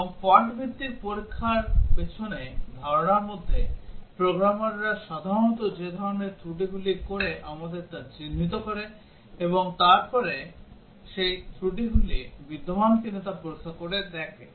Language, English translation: Bengali, And in idea behind fault based testing, we identify the type of faults that programmers commit normally and then check whether those faults are existing